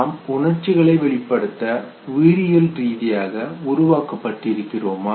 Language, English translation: Tamil, Is it that we are biologically programmed to know, express these emotions, how does this happen